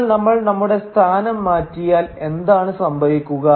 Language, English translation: Malayalam, But what if we switch our position